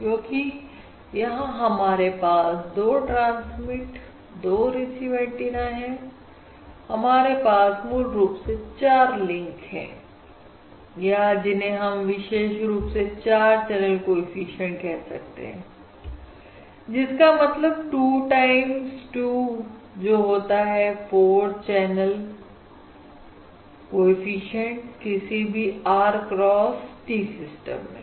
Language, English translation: Hindi, So naturally, since we have 2 transmit and 2 receive antennas, we have 4 basically links, um or basically, which are characterized by 4 channel coefficients, that is, 2 times 2, that is 4 channel coefficient